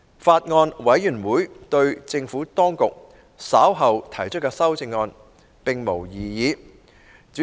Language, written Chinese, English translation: Cantonese, 法案委員會對政府當局稍後提出的修正案，並無異議。, The Bills Committee raises no objection to these amendments to be moved by the Administration